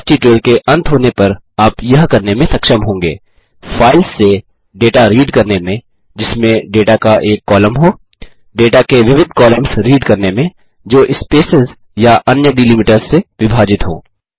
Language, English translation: Hindi, At the end of this tutorial, you will be able to, Read data from files, containing a single column of data Read multiple columns of data, separated by spaces or other delimiters